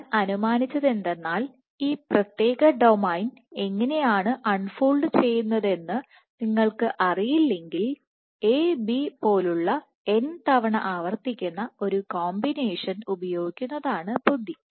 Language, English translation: Malayalam, And what I reasoned was if you do not know how this particular domain unfolds, then it would be wiser to use a combination like A B which is repeated n times